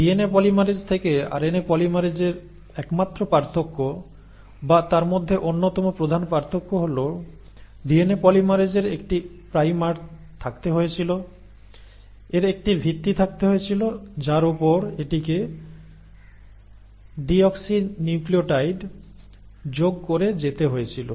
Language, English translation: Bengali, And the only difference, or rather one of the major differences the RNA polymerase has from a DNA polymerase is that DNA polymerase had to have a primer, it had to have a foundation on which it had to then go on adding the deoxynucleotides